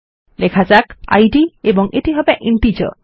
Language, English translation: Bengali, We type id and we will make this an integer